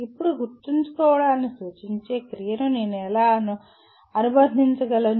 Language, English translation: Telugu, Now, how do I associate a verb that signifies remembering